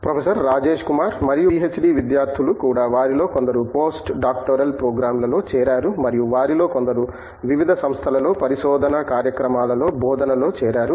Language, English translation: Telugu, And, PhD students also have some of them joined Post Doctoral programs and some of them have joined teaching in research programs at various educational institutions